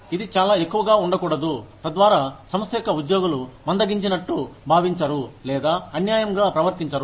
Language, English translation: Telugu, It should not be too much, so that, the organization's employees, do not feel slighted, or treated unfairly